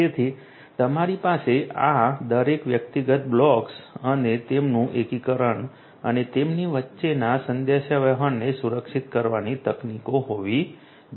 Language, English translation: Gujarati, So, you need to have techniques for securing each of these individual blocks plus their integration and the communication between them